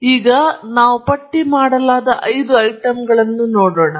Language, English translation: Kannada, So, for example, here we have five items listed here